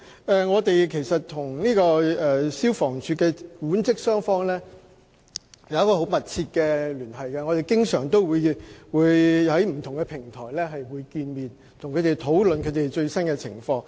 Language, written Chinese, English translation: Cantonese, 當局與消防處的管職雙方保持密切聯繫，我們經常透過不同的平台溝通，並討論最新情況。, The Administration maintains close contacts with the management and staff of FSD . We often have communications through different platforms and have discussions on the latest situation